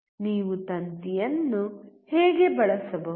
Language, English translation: Kannada, How you can use wire